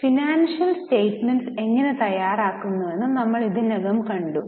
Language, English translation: Malayalam, We have already seen how financial statements are prepared